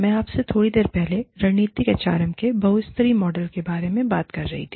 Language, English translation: Hindi, I was talking to you, a little while ago, about the strategic, the model of strategic, multilevel model of strategic HRM